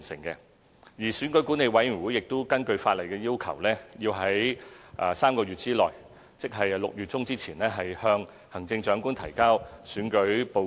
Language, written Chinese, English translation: Cantonese, 而選舉管理委員會亦會根據法例要求，在3個月內，即6月中之前，向行政長官提交選舉報告。, Separately REO is going to submit an election report to the Chief Executive in three months that is before mid - June in accordance with the law